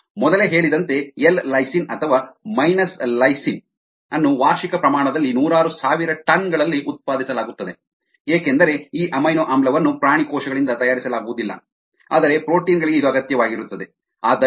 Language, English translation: Kannada, as mentioned earlier, ah lysine minus lysine is produce an annual quantities of hundred of thousands of tons, because this amino acid is not made by ani, by animal cells, but is required forproteins and so on